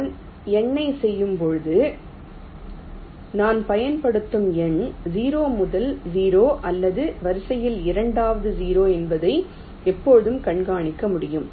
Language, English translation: Tamil, when i am doing the numbering, i can always keep track of whether the number zero that i am using is the first zero or or the second zero in the sequence